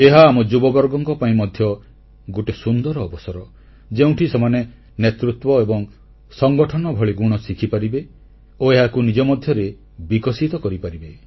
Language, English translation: Odia, This is an excellent chance for our youth wherein they can learn qualities of leadership and organization and inculcate these in themselves